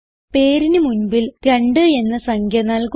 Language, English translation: Malayalam, Add a number 2 before the name